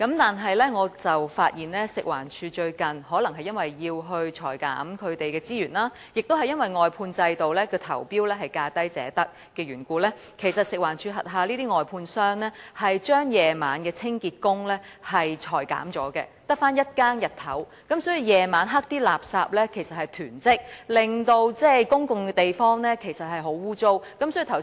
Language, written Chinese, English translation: Cantonese, 但是，我發現最近可能因為食環署要削減資源，亦因為外判制度的投標是價低者得，食環署轄下的外判商將晚上的清潔工裁減，只剩日間一更，導致晚上垃圾囤積，公共地方相當骯髒。, However as FEHD probably intends to cut resources and under the lowest bid wins principle for the outsourcing tenders I find that the outsourced contractors of FEHD have cut night - shift cleansing workers and only day - shift workers are retained resulting in waste accumulation at night thereby affecting the cleanliness of public places